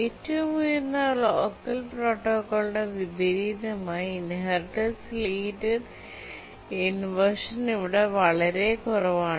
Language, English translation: Malayalam, And in contrast to the highest locker protocol, the inheritance related inversions are really low here